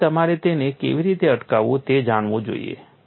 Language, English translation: Gujarati, So, you should know how to stop it